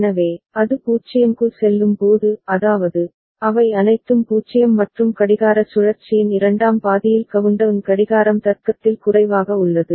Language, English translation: Tamil, So, when it goes to 0; that means, all of them are 0 and countdown clock is at logic low in the second half of the clock cycle